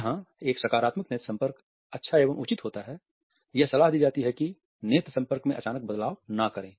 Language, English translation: Hindi, While it is good and advisable to make a positive eye contact one should also be careful not to introduce a sudden change in once eye contact